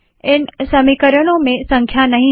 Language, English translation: Hindi, These equations dont have numbers